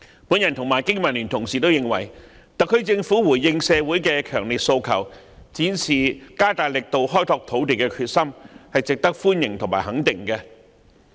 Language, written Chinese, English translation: Cantonese, 我與香港經濟民生聯盟的議員皆認為，特區政府回應社會的強烈訴求，展示加大力度開拓土地的決心，是值得歡迎和肯定的。, I together with Members of the Business and Professionals Alliance for Hong Kong BPA think that the SAR Governments response to strong social demands and its determination to develop land with greater efforts merit our approval and recognition